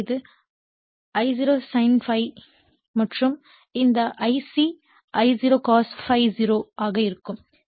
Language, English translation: Tamil, So, it is I0 sin ∅ and this I c will be I0 cos ∅0 right